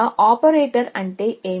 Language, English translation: Telugu, What is an operator